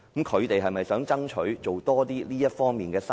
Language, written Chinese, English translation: Cantonese, 他們是否想爭取多做這方面的生意？, Do they wish to seek more business in this area?